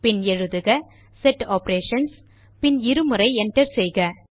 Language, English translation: Tamil, And type Set Operations: and press Enter twice